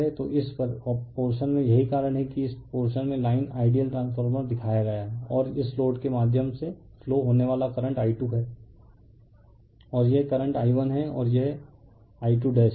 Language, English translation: Hindi, So, this at this portion that is why by dash line in this portion is shown by ideal transformer, right and current flowing through this load is I 2 and this current is I 1 and this is I 2 dash